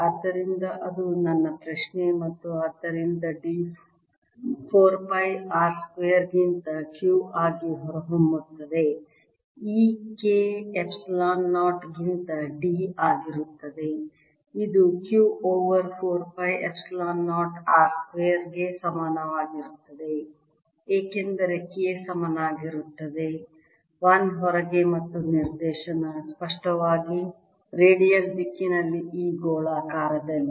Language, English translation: Kannada, e will be d over k, epsilon zero, which is going to be equal to q over four pi epsilon zero r square, because k is equal to one outside and the direction is obviously in this spherical, in the radial direction